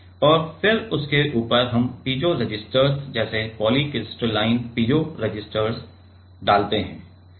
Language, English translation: Hindi, And then on top of that we put the piezo resistors like polycrystalline piezo resistor